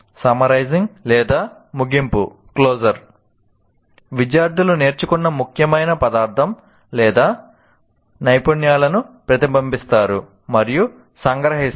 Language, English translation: Telugu, Summarizing or closure, students reflect on and summarize the important material or skills learned